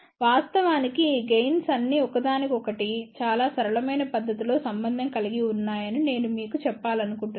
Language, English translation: Telugu, In fact, I just want to tell you actually all these 3 gains are related to each other in a very simple manner